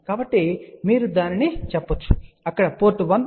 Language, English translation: Telugu, So, you can say that there is a port 1